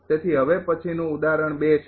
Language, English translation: Gujarati, So, next one is say example 2